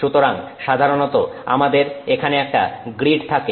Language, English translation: Bengali, So, usually we will have a grid here